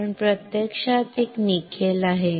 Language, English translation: Marathi, But actually there is a nickel